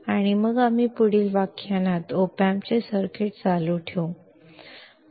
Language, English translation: Marathi, And then we will continue the circuits of op amps in the next lecture